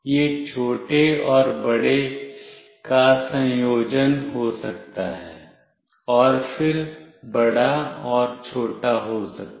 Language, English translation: Hindi, It could be combination small and big, and then big and small